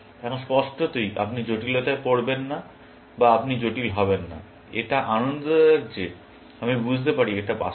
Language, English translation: Bengali, Now, obviously, you cannot get into complicate or you try to get into complicated, kind of pleasing that I can figure out that it is real